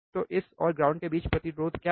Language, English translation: Hindi, So, what is the resistance between this and ground